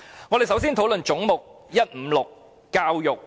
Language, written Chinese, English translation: Cantonese, 我們首先討論總目156教育局。, Let us first discuss Head 156 Education Bureau